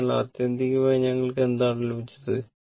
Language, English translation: Malayalam, So, ultimately, what we got